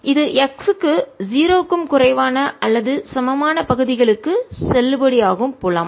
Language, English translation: Tamil, and this is field which is valid for regions for x less than or equal to zero